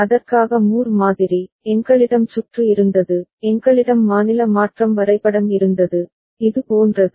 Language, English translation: Tamil, And for that the Moore model, we had the circuit, we had the state transition diagram, something like this